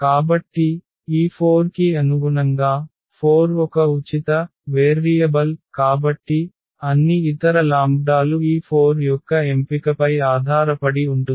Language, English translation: Telugu, So, this lambda corresponding to this 4 so, lambda four is a free variable right so, lambda 4 is a free variable and all other lambdas will depend on this choice of this lambda 4